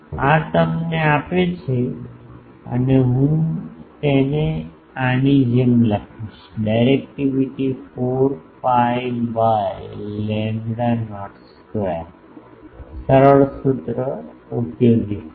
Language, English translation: Gujarati, These gives you and I will write it like this, directivity is 4 pi by lambda not square such a simple formula, such a useful formula